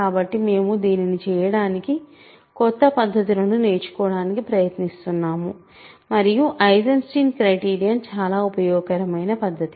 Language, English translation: Telugu, So, we are just trying to learn new techniques to do it and Eisenstein criterion is an extremely useful technique